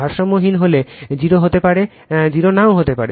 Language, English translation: Bengali, If it is unbalanced may be 0, may not be 0 right